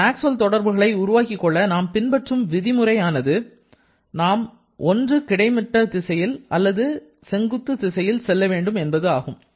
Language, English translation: Tamil, So, the rule of developing these relations is we have to go either in the horizontal direction or in the vertical direction